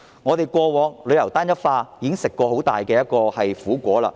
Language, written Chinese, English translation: Cantonese, 我們過往因為旅遊業單一化，已經嘗到很大的苦果。, In the past we have already suffered greatly from the homogeneity of our tourism business